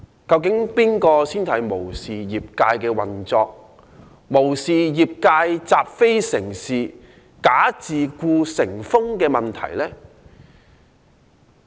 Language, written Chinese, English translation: Cantonese, 究竟是誰無視業界的運作，無視業界"習非成是，'假自僱'成風"的問題？, Who has actually disregarded the practice of the trade to accept what is wrong as right the practice of false self - employment etc?